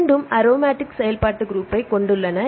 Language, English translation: Tamil, Right or both have the aromatic functional group